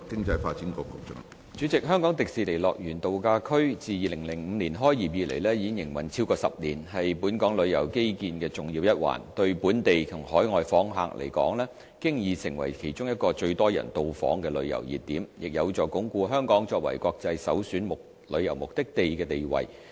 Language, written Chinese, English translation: Cantonese, 主席，香港迪士尼樂園度假區自2005年開業以來，已營運超過10年，是本港旅遊基建的重要一環，對本地及海外訪客來說，已經成為其中一個最多人到訪的旅遊熱點，亦有助鞏固香港作為國際首選旅遊目的地的地位。, President the Hong Kong Disneyland Resort HKDL has been in operation for over 10 years since its opening in 2005 . It is a major component of the tourism infrastructure in Hong Kong and one of the most popular tourist attractions for both local and overseas visitors . It also helps consolidate our position as an international premier tourist destination